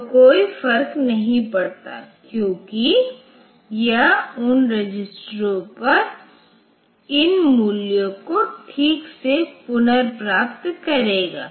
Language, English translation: Hindi, So, then also it does not matter it will be retrieving these values properly onto those registers ok